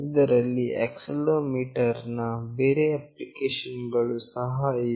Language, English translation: Kannada, There are other applications of accelerometer as well